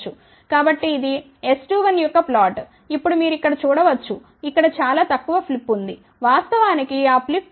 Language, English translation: Telugu, So, this is the plot for S 21 now you can see here there is a very little flip over here actually speaking that flip here corresponds to 0